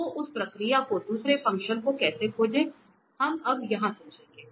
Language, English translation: Hindi, So, how to find the other function that process we will explain here now